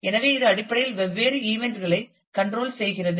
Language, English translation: Tamil, So, which basically controls the different events